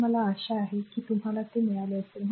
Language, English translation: Marathi, So, I hope you have got it this right